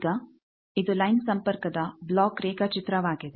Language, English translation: Kannada, Now, this is block diagram of line connection